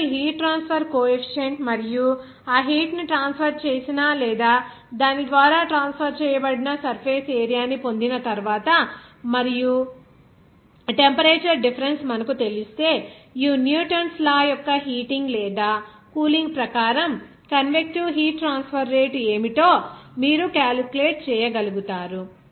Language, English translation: Telugu, Once you get this heat transfer coefficient and also surface area from which that heat is transferred or through which it is transferred and also if you know the temperature difference, you would be able to calculate what should the convective heat transfer rate as per this Newton's law of cooling or heating